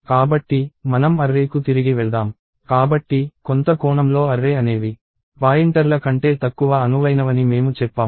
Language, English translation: Telugu, So, let us go back to arrays, so, in some sense arrays I said are less flexible than pointers